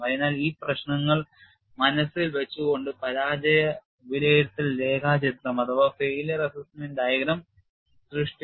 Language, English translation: Malayalam, So, keeping these issues in mind, failure assessment diagram has been created